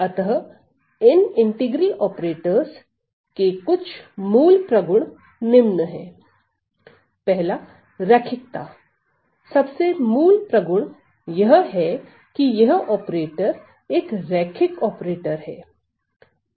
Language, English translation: Hindi, So, some of the basic properties, some of the basic properties of these integral operators, so the most basic property is that this operator is a linear operator